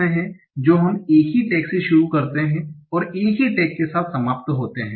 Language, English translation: Hindi, So there are two parts that start with the same tech and end with the same tech